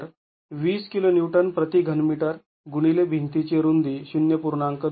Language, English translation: Marathi, So, 20 kilo neuton per meter cube into the width of the wall